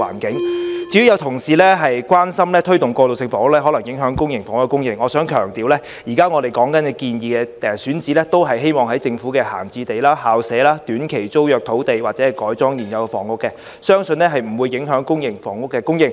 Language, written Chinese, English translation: Cantonese, 至於有同事關注推動過渡性房屋可能影響公營房屋的供應，我想強調，我們現時建議的選址，都是政府的閒置用地、校舍、短期租約土地，或是由改裝現有房屋而來，相信不會影響公營房屋的供應。, As for some Members concern that the promotion of transitional housing may affect public housing supply I wish to stress that the sites in our present proposals are those idle government sites and school campuses together with lands under short - term tenancies . Or transitional housing can be provided by converting existing housing buildings . I do not believe public housing supply will thus be affected